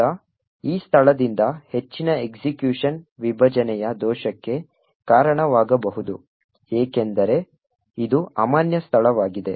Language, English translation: Kannada, Now further execution from this location would result in a segmentation fault because this is an invalid location